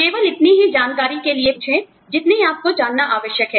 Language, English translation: Hindi, Ask only for information, that you need to know